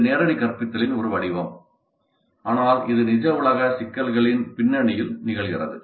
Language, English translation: Tamil, It is a form of direct instruction but it occurs in the context of real world problems